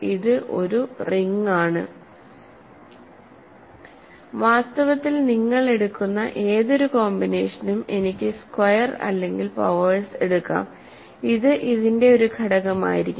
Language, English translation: Malayalam, Any such combination you take in fact I can take squares any powers and it will be an element of this